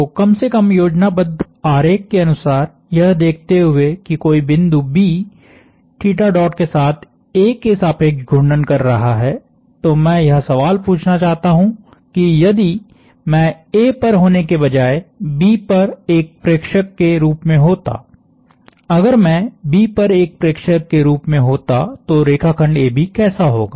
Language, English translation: Hindi, So, given that some point B is rotating about A with theta dot at least in the schematic, I want to ask the question if I was the observer at B instead of being at A; if I was the observer at B what would be line segment AB look like it is doing